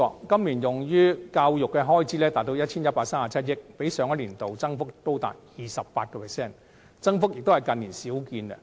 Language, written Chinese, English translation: Cantonese, 今年用於教育的開支達 1,137 億元，較上年度增幅高達 28%， 增幅之大屬近年少見。, The expenditure on education this year increases by 28 % to 113.7 billion . Such a substantial increase is rarely seen in recent years